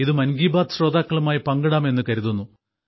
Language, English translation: Malayalam, That's why I thought that I must share it with the listeners of 'Mann Ki Baat'